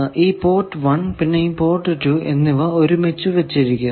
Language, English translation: Malayalam, Now you see that port 1 and port 2 they are put together